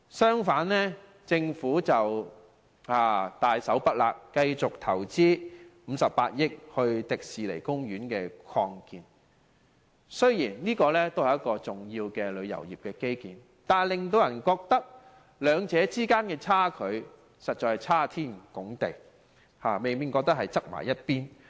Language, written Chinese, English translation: Cantonese, 相反，政府大手筆投資58億元予香港迪士尼樂園進行擴建，雖然這也是一個重要的旅遊業基建，但令人覺得兩者實在相差太遠，未免過於偏重一方。, Contrarily the Government has generously invested 5.8 billion on the expansion project of the Hong Kong Disneyland . Although this can also be considered an important tourism infrastructure the treatment of the two is so different and is absolutely biased